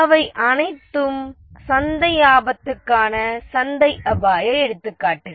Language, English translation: Tamil, Those are all market risks, examples of market risk